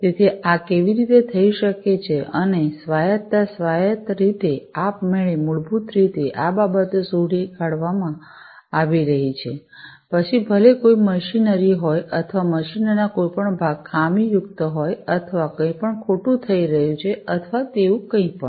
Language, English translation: Gujarati, So, how can this be done and autonomy, autonomously, automatically, basically these things are going to be detected, whether any machinery or, any parts of the machines are defective or, anything is going wrong or anything like that